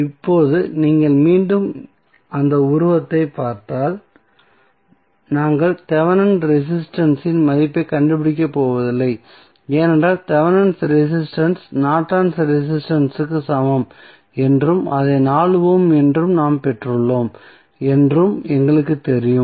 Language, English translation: Tamil, So, now if you see the figure again we are not going to find out the value of Thevenin resistance because we know that Thevenin resistance is equal to Norton's resistance and which we obtained as 4 ohm